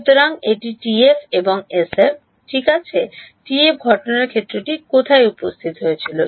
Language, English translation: Bengali, So, this is TF and SF ok so, TF where did the incident field appear